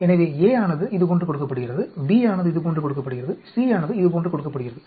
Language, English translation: Tamil, So A is given like this, B is given like this, C is given like this